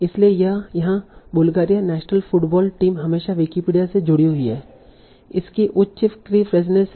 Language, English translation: Hindi, So here like Bulgaria national football team is roughly always linked to Wikipedia has a high creepishness